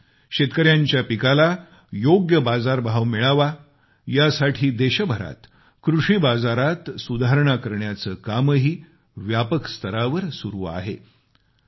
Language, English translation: Marathi, Moreover, an extensive exercise on agricultural reforms is being undertaken across the country in order to ensure that our farmers get a fair price for their crop